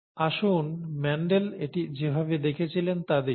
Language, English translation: Bengali, Now let us see the way the Mendel, the way Mendel saw it